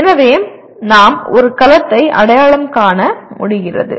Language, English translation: Tamil, So we are labeling the, we are able to identify a cell